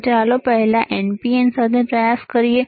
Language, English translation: Gujarati, So, let us try with NPN first one